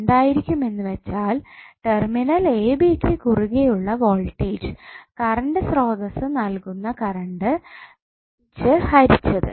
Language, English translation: Malayalam, The voltage across terminals a b divided by the current supplied by current source